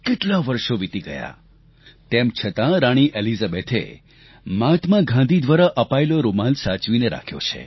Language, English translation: Gujarati, So many years have passed and yet, Queen Elizabeth has treasured the handkerchief gifted by Mahatma Gandhi